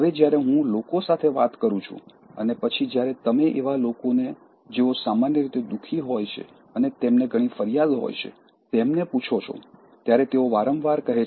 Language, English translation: Gujarati, Now, when I talk to people and then when you ask people who are generally unhappy and then generally who have lots of complaints